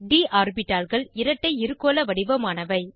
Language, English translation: Tamil, d orbitals are double dumb bell shaped